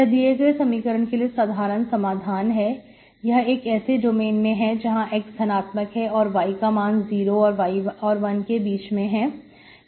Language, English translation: Hindi, So this is your general solution of the given equation in the domain x positive and y is between 0 to 1